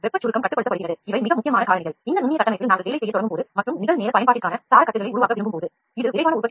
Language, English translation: Tamil, Heat shrinkage is controlled so these are very important factors when we start working on this porous structure and when you want to make scaffolds for real time application